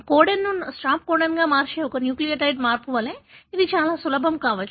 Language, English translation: Telugu, It could be as simple as one nucleotide change that modifies a codon into a stop codon